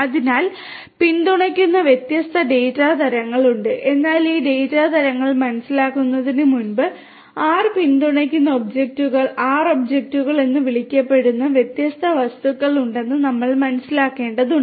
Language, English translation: Malayalam, So, there are different data types that are supported, but before we understand these data types, we need to understand that there are different something called objects, R objects that are supported by R